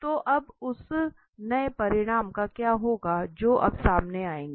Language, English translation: Hindi, So what will happen now to the new result that we will come up now